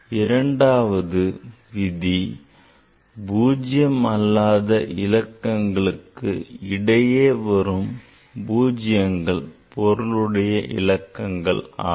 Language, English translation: Tamil, Second rule is all zeros occurring between non zero digits are significant figures